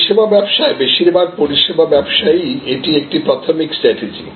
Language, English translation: Bengali, In service businesses, in most service businesses this is a primary strategy